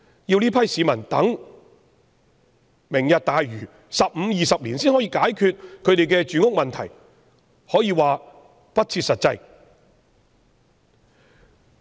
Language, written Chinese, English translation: Cantonese, 要這批市民等待"明日大嶼 "，15 年或20年後才可解決他們的住屋問題，可說是不切實際。, It would be unrealistic to have these people wait for 15 or 20 years before their housing issues can be addressed by the Lantau Tomorrow programme